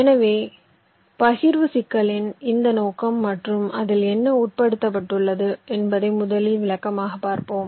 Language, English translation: Tamil, so let us first try to explain this scope of the partitioning problem and what does it involve